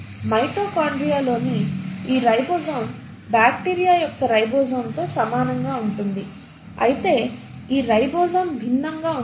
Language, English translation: Telugu, But this ribosome in mitochondria is similar to the ribosome of bacteria while this ribosome is different